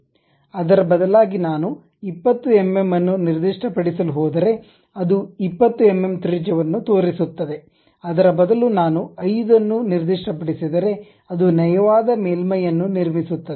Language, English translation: Kannada, Instead of that, if I am going to specify 20 mm, it shows 20 mm radius; instead of that if I am showing 5, a smooth surface it will construct